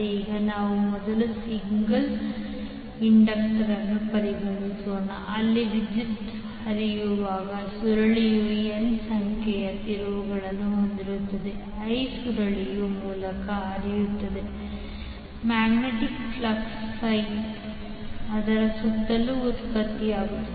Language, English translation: Kannada, Now let us first consider single inductor where the coil has N number of turns when the current flows the current I is flowing through the coil the magnetic flux phi will be produced around it if you see the figure the current I is flowing in the inductor and flux phi is generated